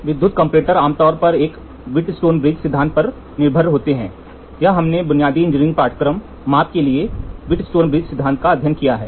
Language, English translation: Hindi, The electrical comparator generally depends on Wheatstone bridge principle, this we have studied in your basic engineering courses, Wheatstone bridge principle for measurement